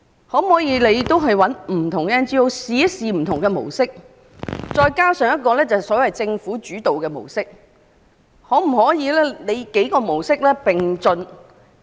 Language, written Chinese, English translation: Cantonese, 可否找來不同的 NGO， 嘗試採用不同模式，再加上一個所謂"政府主導"的模式，幾種模式同時進行試驗？, Can we find different NGOs to try out different models plus a so - called government - led model and experiment with several models at the same time?